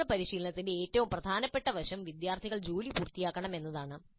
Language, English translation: Malayalam, Now the most important aspect of the independent practice is that students must complete the work